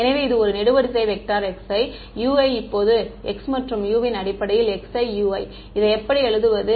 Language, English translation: Tamil, So, it was a column vector with x i u i now, how do I write this x i u i